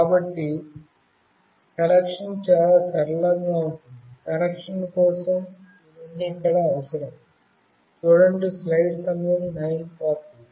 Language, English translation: Telugu, So, the connection is fairly straightforward, this is all required here for the connection